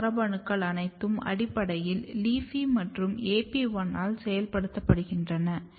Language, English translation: Tamil, And another important thing if you look here, all these genes are basically getting activated later on by LEAFY and AP1